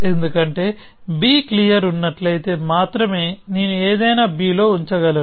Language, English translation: Telugu, Because I can only put something on into b if b is clear